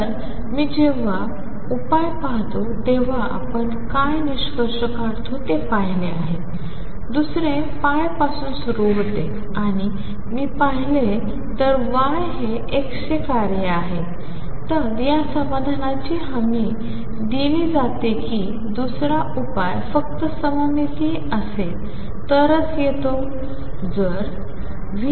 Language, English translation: Marathi, So, what we conclude when I look at the solution this is the first one, the other one starts from pi; and if I look at that y is a function of x this solution is guaranteed the other solution comes only if symmetric solution